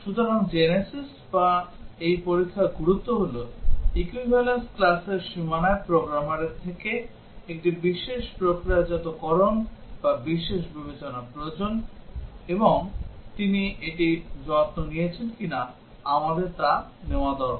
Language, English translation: Bengali, So, the genesis or the importance of this testing is that there is a special processing or special consideration required from the programmer at the boundaries of equivalence classes, and we need to take whether he has taken care of that